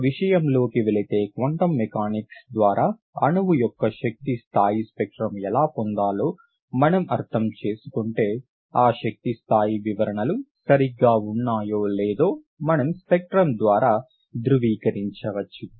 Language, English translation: Telugu, If we understand how to obtain the energy level spectrum of the molecule through quantum mechanics, we can verify through the spectrum whether those energy level descriptions are correct